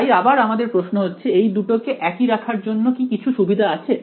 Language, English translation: Bengali, So again so, question is that is there any advantage of keeping these two the same so first